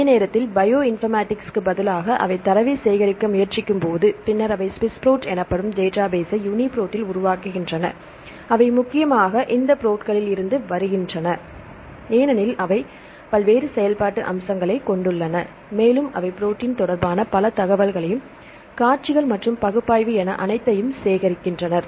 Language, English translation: Tamil, In the same time, this is instead of bioinformatics they also try to collect the data and they develop database called the SWISS PROT right later in UniProt comes mainly from this “prots” because they have the various functional aspects and they collected a lot of information regarding protein sequences plus the analysis